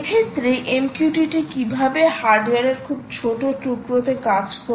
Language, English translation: Bengali, essentially, how does m q t t work on very small pieces of hardware